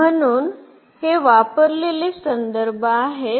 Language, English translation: Marathi, So, these are the references used